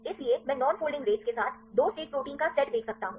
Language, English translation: Hindi, So, I can see the set of 2 state proteins with non folding rates